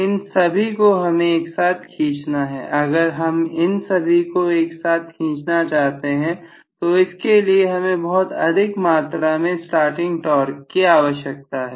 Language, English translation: Hindi, So all of them have to be essentially pulled, if all of them need to be pulled you require a huge amount of starting torque